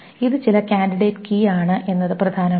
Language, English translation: Malayalam, It is some candidate key